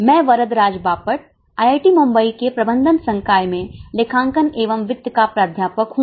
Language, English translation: Hindi, Myself Varadraj Bhapad, I am a faculty in accounting and finance in School of Management, IIT Mumbai